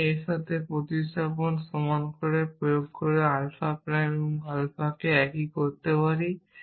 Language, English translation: Bengali, I can make alpha prime and alpha the same by saying applying the substitution x equal to this